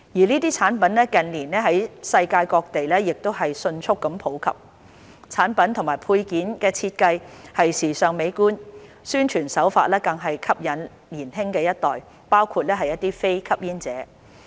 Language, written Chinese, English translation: Cantonese, 這些產品近年在世界各地迅速普及，產品及配件的設計時尚美觀，宣傳手法更是特別吸引年輕一代包括非吸煙者。, These products have been rapidly gaining popularity around the world in recent years with products and accessories designed to be stylish and aesthetically pleasing and advertised in a way that appeals to the younger generation including non - smokers